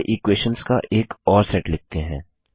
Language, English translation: Hindi, Let us write another set of equations